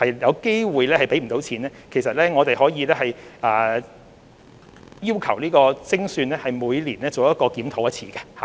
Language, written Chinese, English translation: Cantonese, 若計劃有可能資金不足，我們可以要求由精算師每年再作檢討。, If the scheme is likely to be in short of funds we may request the situation to be reviewed annually by an actuary